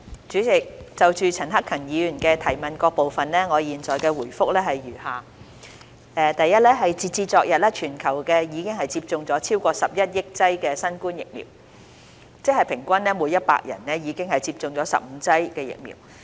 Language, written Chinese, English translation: Cantonese, 主席，就陳克勤議員質詢的各部分，我現答覆如下：一截止昨日，全球已接種超過11億劑新冠疫苗，即平均每100人已接種15劑的疫苗。, President my reply to the various parts of the question raised by Mr CHAN Hak - kan is as follows 1 As of yesterday more than 1.1 billion doses of COVID - 19 vaccine have been administered worldwide equal to 15 doses for every 100 people